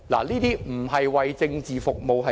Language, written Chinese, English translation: Cantonese, 這不是為政治服務是甚麼？, What is this if not for the sake of politics?